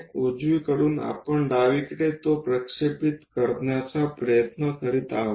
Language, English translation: Marathi, From right side we are trying to project it on to the left side